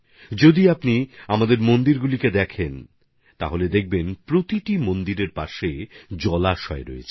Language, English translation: Bengali, If you take a look at our temples, you will find that every temple has a pond in the vicinity